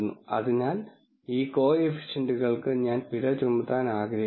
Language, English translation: Malayalam, So, I want to penalize these coefficients